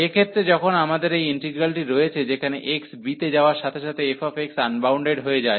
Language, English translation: Bengali, So, for the case when we have this integral, where f x becomes unbounded as x goes to b